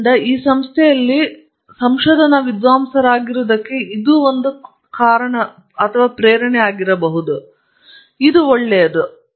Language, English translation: Kannada, So that could be one reason why you are a research scholar in this institute, which is a good thing